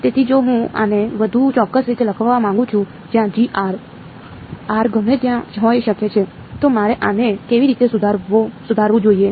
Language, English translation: Gujarati, So, if I want to write this in more precise way where G of r vector, r can be anywhere then how should I modify this